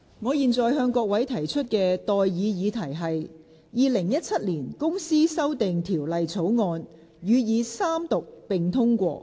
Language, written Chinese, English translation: Cantonese, 我現在向各位提出的待議議題是：《2017年公司條例草案》予以三讀並通過。, I now propose the question to you and that is That the Companies Amendment Bill 2017 be read the Third time and do pass